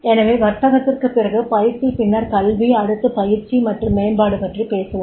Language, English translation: Tamil, So, after the business, training, then education and now we will talk about the training and development, right